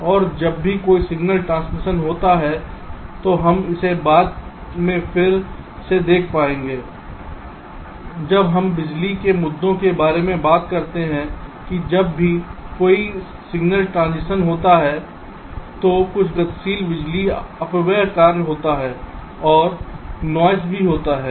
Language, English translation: Hindi, and whenever there is a signal transition we shall again be seeing this later when we talk about power issues that whenever there is a signal transition, some dynamic power dissipation work um occurs, ok, and also noise